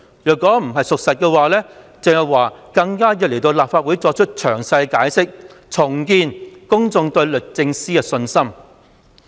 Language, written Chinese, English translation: Cantonese, 如此說法並非事實，鄭若驊更有需要前來立法會作詳細解釋，重建公眾對律政司的信心。, If this is not true then it is all the more necessary for Teresa CHENG to give a detailed explanation in the Legislative Council so as to rebuild public confidence in DoJ